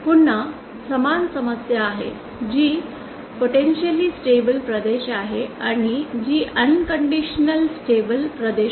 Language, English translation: Marathi, Again we have the same problem, which is the potentially unstable region and which is the unconditionally stable region